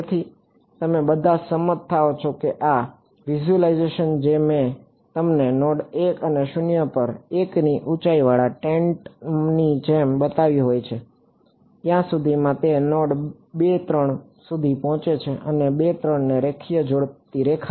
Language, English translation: Gujarati, So, you all agree that this visualization that I have shown you over here like a tent with height 1 at node 1 and 0 by the time it reaches node 2 3 and the line connecting 2 3